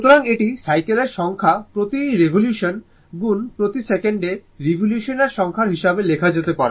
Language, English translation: Bengali, So, this can be written as number of cycles per revolution into number of revolution per second